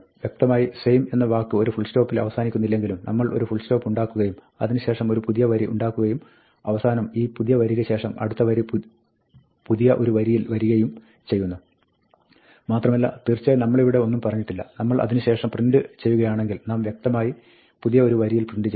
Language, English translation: Malayalam, Implicitly, although the word same line ends without a full stop, we produce a full stop and after we produce a full stop, it produces a new line and finally, after this new line, the next line comes in the new line and of course, because here we did not say anything; if we print after that, we implicitly would print on a new line